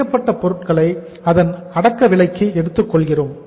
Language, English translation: Tamil, Finished goods we have take it at the cost price